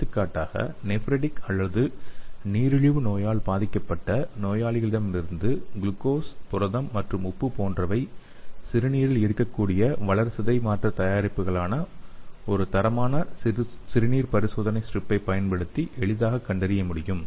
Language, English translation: Tamil, For example urinary metabolic products like glucose, protein and salt can from the patients with nephritic or diabetic diseases can be easily detected using a standard urine test strip